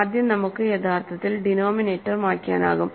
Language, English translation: Malayalam, So, first we can actually clear the denominator